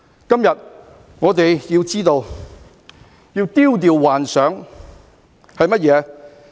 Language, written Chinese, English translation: Cantonese, 今天我們要知道，要丟掉幻想。, Today we must understand that we have to cast away illusions